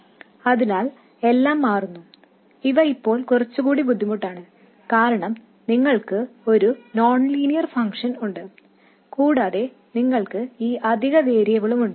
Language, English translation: Malayalam, So, everything changes and these things are now a little more cumbersome because you have a nonlinear function and you also have this additional variable